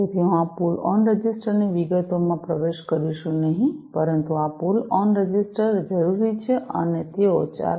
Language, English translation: Gujarati, So, I am not getting into the details of these pull on registers, but these pull on registers are required and they operate in the range 4